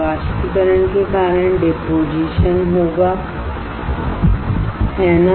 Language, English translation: Hindi, Evaporation will cause the deposition, right